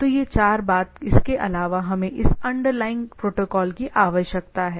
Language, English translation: Hindi, So this four thing apart from that we require that underlying protocol